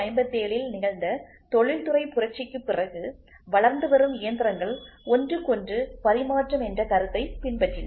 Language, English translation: Tamil, After the industrial revolution which happened in 1857 the machines which are getting developed followed the concept of interchangeability